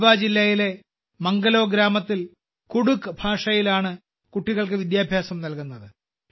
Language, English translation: Malayalam, Children are being imparted education in Kudukh language in Manglo village of Garhwa district